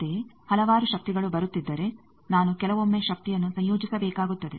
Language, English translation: Kannada, Similarly, if there are several powers are coming I need to sometimes combine the power